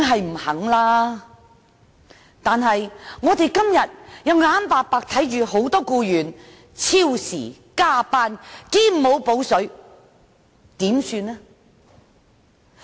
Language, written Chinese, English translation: Cantonese, 不過，我們今天卻眼睜睜看到很多僱員超時工作而沒有"補水"。, That said we can do nothing but witness many employees working overtime without compensation